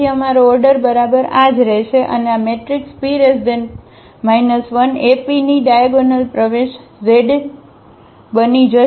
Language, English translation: Gujarati, So, our order will remain exactly this one and this will become the diagonal entries of the matrix P inverse AP